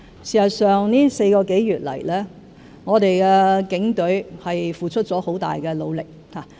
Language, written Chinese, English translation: Cantonese, 事實上，這4個多月來，我們的警隊付出了很大努力。, As a matter of fact the Police Force has made considerable efforts over the past four months or so